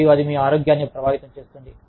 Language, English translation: Telugu, And, that starts affecting your health